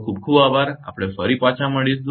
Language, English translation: Gujarati, Thank you very much we will be back